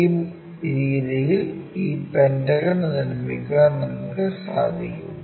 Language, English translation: Malayalam, In that way we will be in a position to construct this pentagon